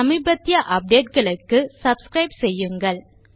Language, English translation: Tamil, Please subscribe for latest updates